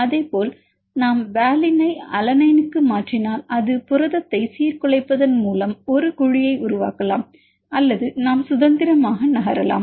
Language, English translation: Tamil, Likewise if we mutate valine to alanine it can create a cavity by destabilizing protein or we can freely move